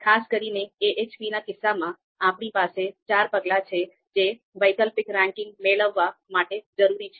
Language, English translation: Gujarati, Specifically for AHP, we have four steps that are required to obtain ranking of an alternative